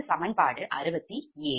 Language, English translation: Tamil, that is equation sixty seven